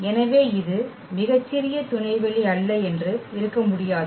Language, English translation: Tamil, So, it cannot be that this is not the smallest subspace